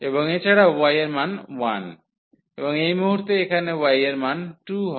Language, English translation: Bengali, And also the value of y is 1 and at this point here the value of y is 2